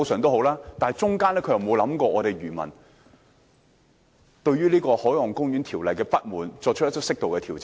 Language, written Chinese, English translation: Cantonese, 但當中並沒有想到漁民對於《海岸公園條例》不滿，而作出適度的調整。, But in the process no consideration has been given to fishermens discontent with the Marine Parks Ordinance